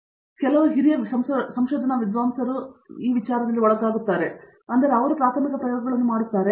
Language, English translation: Kannada, So, they undergo with some seniors in research scholars and do preliminary experiments